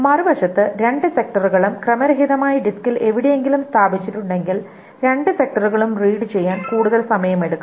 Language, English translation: Malayalam, On the other hand, if the two sectors are placed randomly anywhere on the disk, it will take much more time to read the two sectors